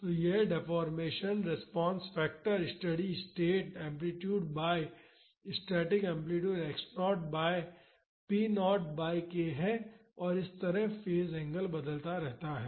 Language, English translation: Hindi, So, this is the deformation response factor that is the steady state amplitude divided by the static amplitude x naught by p naught by k and this is how the phase angle varies